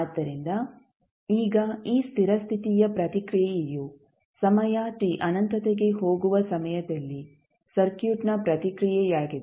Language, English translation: Kannada, So, now this steady state response is the response of the circuit at the time when time t tends to infinity